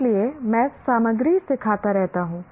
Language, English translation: Hindi, So I keep teaching the content